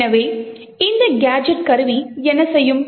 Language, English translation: Tamil, So, what this gadget tool would do